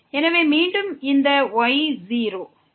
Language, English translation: Tamil, So, again this is 0